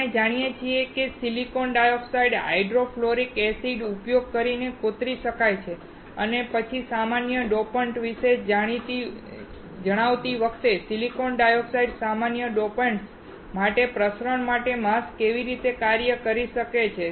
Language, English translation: Gujarati, We know that the silicon dioxide can be etched using hydrofluoric acid and then how silicon dioxide can act as a mask for the diffusion for common dopants, while telling about the common dopants